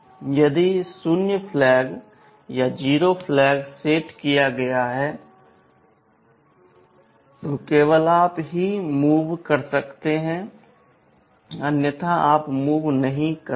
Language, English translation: Hindi, If the zero flag is set, then only you do the move, otherwise you do not do the move